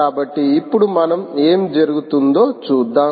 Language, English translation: Telugu, so now lets see what happens